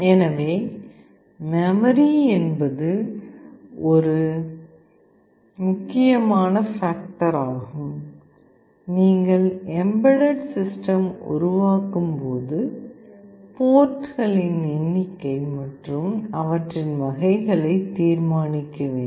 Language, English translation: Tamil, So, memory is an important factor that is to be decided when you develop and embedded system, number of ports and their types